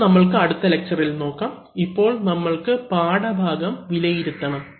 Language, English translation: Malayalam, We will take up in the next lecture, so now, now let us come to the lesson review